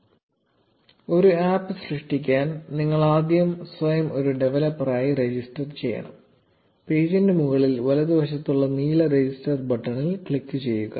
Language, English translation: Malayalam, To create an app, you need to first register yourself as a developer; click on the blue register button on the top right of the page